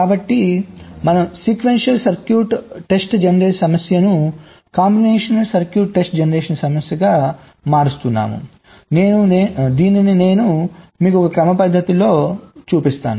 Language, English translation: Telugu, so we are converting the sequential circuit test generation problem to a combinational circuit test generation problem how